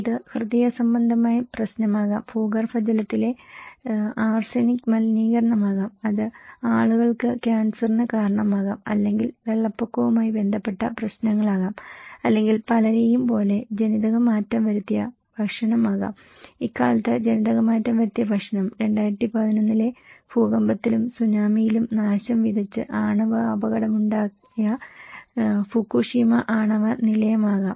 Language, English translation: Malayalam, It could be a heart problem, it could be arsenic contaminations of groundwater and that’s causing the cancers to the people or it could be flood related issues or it could be genetically modified food like many people and nowadays exposed to genetically modified food and they are having a lot of health issues or could be Fukushima nuclear plant that was devastated and nuclear accident took place by 2011 earthquake and Tsunami